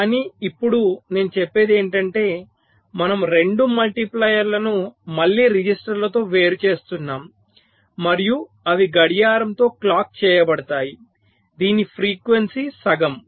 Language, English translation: Telugu, but now what i am saying is that we use two multipliers with, again, registers separating them and their clocked by by a clocked was frequency is half